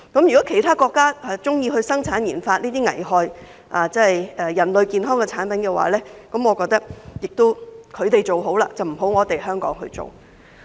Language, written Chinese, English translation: Cantonese, 如果其他國家喜歡生產研發這些危害人類健康的產品的話，我認為他們做便可以，香港不要做。, If other countries would like to manufacture and conduct RD on such products that are harmful to human health I think it is fine for them to do so but Hong Kong should not do likewise